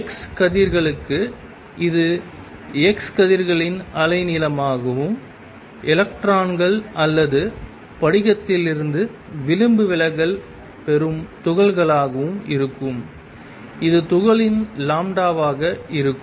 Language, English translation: Tamil, Where for x rays it will be the wavelength of x rays and for electrons or the particles that are diffracted from crystal it will be lambda of those particles which is n h over p of the particles